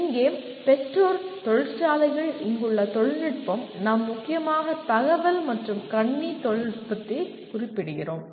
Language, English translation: Tamil, Here the parents, industry, the technology here we mainly refer to information and computing technology